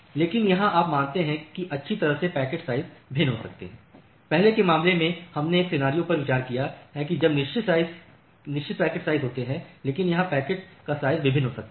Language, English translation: Hindi, But here you consider that well the packet sizes may vary; in the earlier cases we have considered a scenario when there are fixed packet sizes, but here the packet size can vary